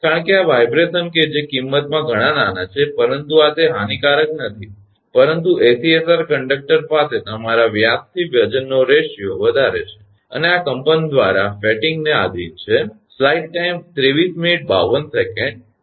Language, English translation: Gujarati, Since these vibrations as small in magnitude, but these are not that harmful, but the ACSR conductor right, has high your diameter to weight ratio and is subject to fatigue by this vibration